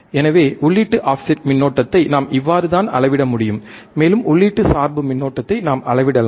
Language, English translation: Tamil, So, we this is how we can measure the input offset current, and we can measure the input bias current